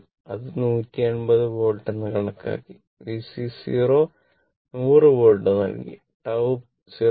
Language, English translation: Malayalam, I calculated for you 180 volt and V C 0 is given 100 volt and tau we calculated 0